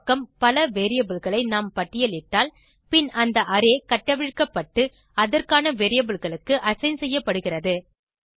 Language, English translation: Tamil, If we list multiple variables on the left hand side, then the array is unpacked and assigned into the respective variables